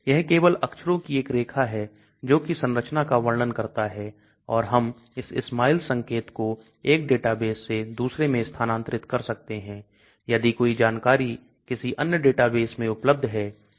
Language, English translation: Hindi, It is just a string of characters which describes the structures and we can move this SMILES notation from 1 database to another to get if any information is available in another database